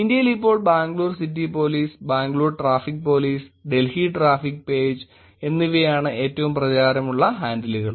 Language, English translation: Malayalam, In India now, Bangalore City Police, Bangalore Traffic Police, Delhi Traffic Page, these are the very popular handles in the country now